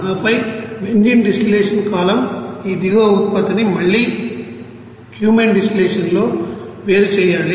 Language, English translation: Telugu, And then this bottom product of this benzene distillation column again to be separated in a Cumene distillation column